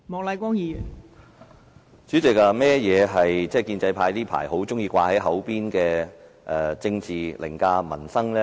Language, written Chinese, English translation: Cantonese, 代理主席，甚麼是建制派最近很喜歡掛在嘴邊的政治凌駕民生？, Deputy Chairman what is politics overriding peoples livelihood as constantly referred to by the pro - establishment camp recently?